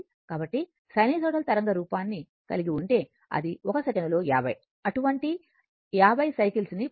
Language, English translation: Telugu, So, if you have sinusoidal waveform, so it will complete 50 such cycles 50 such cycles in 1 second right